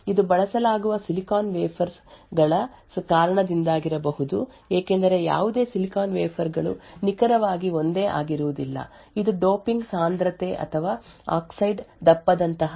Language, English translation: Kannada, This could be due to silicon wafers that are used because no silicon wafers would be exactly identical, it could also, be due to other factors such as the doping concentration or the oxide thickness and so on which is going to be unique for each transistor